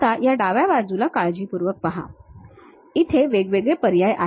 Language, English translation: Marathi, If you are carefully looking at on this left hand side, there are options